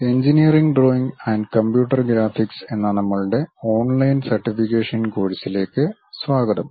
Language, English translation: Malayalam, Welcome to our online certification courses on Engineering Drawing and Computer Graphics